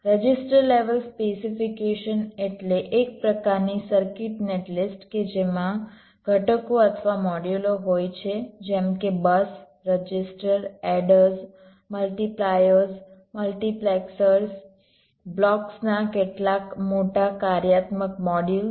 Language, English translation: Gujarati, register level specification means ah kind of circuit net list which consist of components or modules like, say, busses, registers, adders, multipliers, multiplexors, some bigger functional modules of blocks